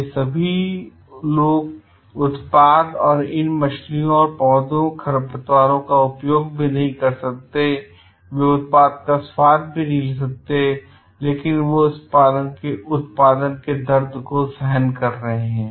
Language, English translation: Hindi, These people may not even use the product and these fish and the plants, weeds, they not even taste the product, but they are bearing the pains of producing this